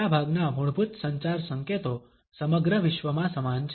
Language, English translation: Gujarati, Most of a basic communication signals are the same all over the world